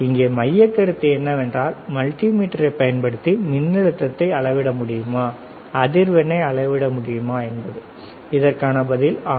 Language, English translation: Tamil, The point here is that, using the multimeter can you measure voltage can you measure frequency the answer is, yes